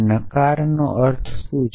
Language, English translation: Gujarati, What does negation mean